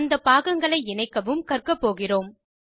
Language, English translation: Tamil, We will also learn to connect the various components